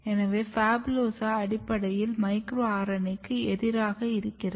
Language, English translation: Tamil, So, if you put PHABULOSA this is basically resistance to the micro RNA